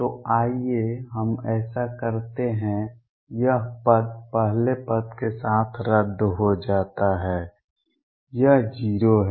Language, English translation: Hindi, So, let us do that, this term cancels with the first term this is 0